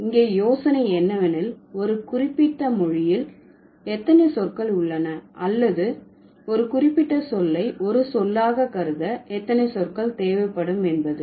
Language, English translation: Tamil, So, the idea here is that how many words does a particular language have or how many morphemps would a particular word require to be considered as a word